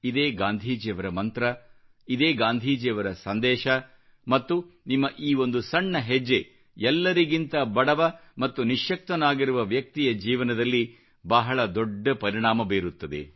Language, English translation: Kannada, This is the mantra of Gandhiji, this is the message of Gandhiji and I firmly believe that a small step of yours can surely bring about a very big benefit in the life of the poorest and the most underprivileged person